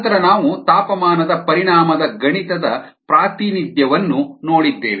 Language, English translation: Kannada, then we saw a mathematical representation of the affect of temperature